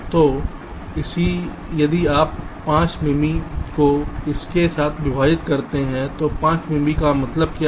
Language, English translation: Hindi, so if you divide five m m with this um, five m m means what